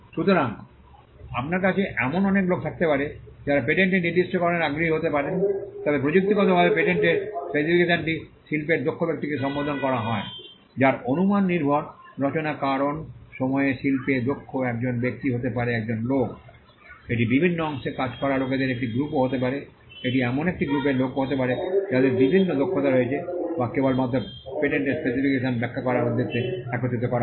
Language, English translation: Bengali, So, you could have a whole lot of people who could be interested in a patent specification but technically, the patent specification is addressed to a person skilled in the art whose which is a hypothetical construct because a person skilled in the art at times could be a group of people, it could also be a group of people working in different parts, it could be a group of people who have different skills which are brought together only for the purposes of interpreting a patent specification